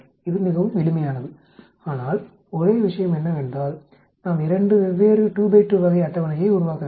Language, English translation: Tamil, It is quite simple but only thing is, we need to make two different 2 by 2 type of table